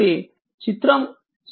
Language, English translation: Telugu, So, from figure 6